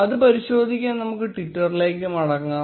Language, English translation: Malayalam, Let us go back to twitter to check the same